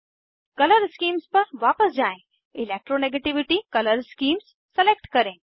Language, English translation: Hindi, Go back to Color Scheme, select Electronegativity color scheme